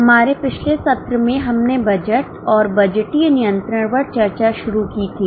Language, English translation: Hindi, In our last session we had started on budgeting and budgetary control